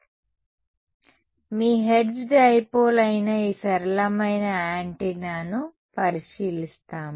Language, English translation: Telugu, So, we will have a look at this simplest antenna which is your Hertz dipole ok